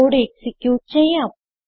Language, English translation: Malayalam, Lets execute the code